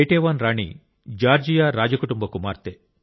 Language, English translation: Telugu, Queen Ketevan was the daughter of the royal family of Georgia